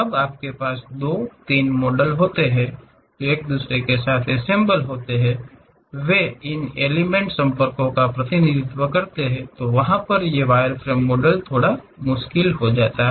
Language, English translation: Hindi, When you have two, three models which are intersecting with each other; they representing these curves contacts becomes slightly difficult